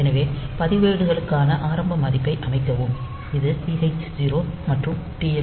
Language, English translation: Tamil, So, set the initial value for the registers; so, this TH 0 and TL 0